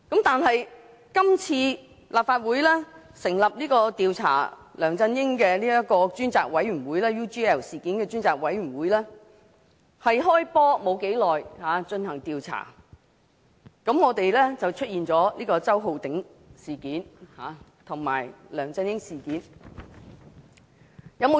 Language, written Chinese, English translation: Cantonese, 但是，今次立法會成立的"調查梁振英先生與澳洲企業 UGL Limited 所訂協議的事宜專責委員會"剛開始進行調查，便出現了周浩鼎議員事件和梁振英事件。, However on this occasion when the Select Committee to Inquire into Matters about the Agreement between Mr LEUNG Chun - ying and the Australian firm UGL Limited formed by the Legislative Council just started to conduct the inquiry the incident involving Mr Holden CHOW and LEUNG Chun - ying occurred